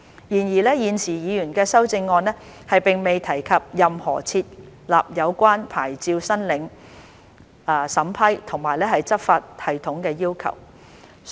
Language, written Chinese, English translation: Cantonese, 然而，現時議員的修正案並未提及任何設立有關牌照申領審批和執法系統的要求。, However the amendments proposed by the Member have not mentioned any requirement of setting up a system for approving licence applications and enforcement